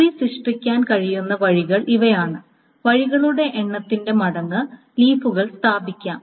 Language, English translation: Malayalam, These are the ways the trees can be generated times the number of ways leaves can be placed